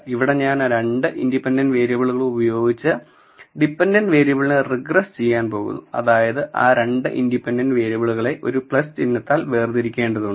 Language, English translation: Malayalam, So, I am regressing the dependent variable with 2 independent variables so, the 2 independent variables have to be separated by a plus sign